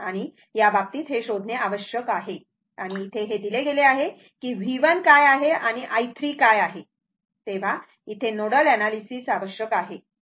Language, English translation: Marathi, And in that case ah, in that case, we have to find out and here it is given that what is your V 1 and what is your V 2 that is this is nodal analysis is required